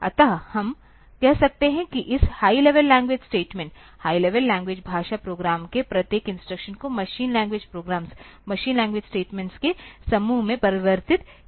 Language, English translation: Hindi, So, we can say that every instruction of this high level language statement, high level language program will get converted into a set of machine language programs, machine language statements